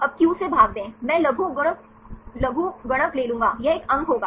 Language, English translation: Hindi, Now divide by qi then take the logarithmic, that will be a score